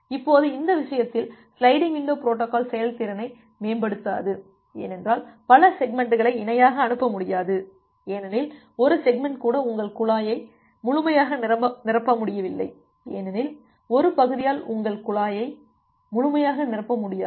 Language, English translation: Tamil, Now in this case, the sliding window protocols do not improve performance because why because we will not be able to send multiple segments in parallel even one segment is not able to fill up the your pipe completely; because one segment is not able to fill up your pipe completely